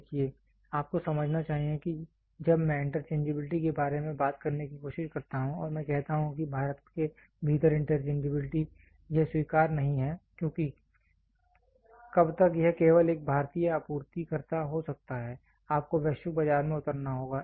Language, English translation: Hindi, See you should understand when I try to talk about interchangeability and I say interchangeability within India it is not accepted because how long can it be only an Indian supplier, you have to get into the global market